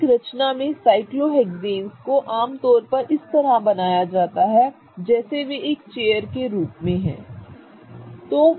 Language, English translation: Hindi, Cyclohexanes are typically drawn such that they are drawn like in the form of chair